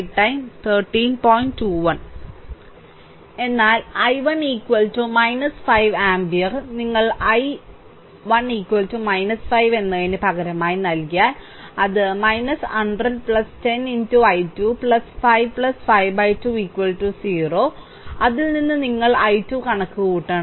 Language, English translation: Malayalam, But i 1 is equal to minus 5 ampere, if you substitute i, i 1 is equal to minus 5, then it will become minus 100 plus 10 into i 2 plus 5 plus 5 by 2 is equal to 0 from which you have to compute i 2